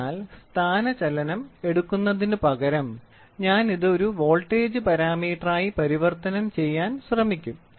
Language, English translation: Malayalam, So, instead of trying to take only displacement I will try to convert this in to a voltage parameter